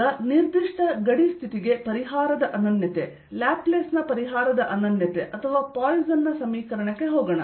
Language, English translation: Kannada, now let's go to uniqueness of solution, uniqueness of solution of laplace's or poison's equation for a given boundary condition